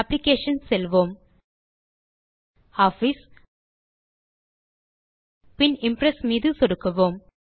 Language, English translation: Tamil, Let us Go to Applications,click on Office,then click on LibreOffice Impress